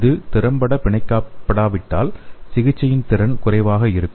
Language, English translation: Tamil, If it is not binding effectively, then the therapeutic efficiency will be less